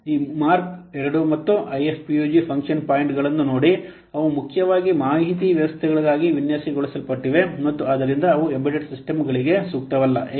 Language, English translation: Kannada, See this MIRV 2 and IFPUG function points they were mainly designed for information systems and hence they are not suitable for embedded systems